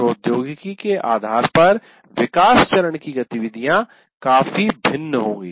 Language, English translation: Hindi, And depending on the technology, the activities of development phase will completely vary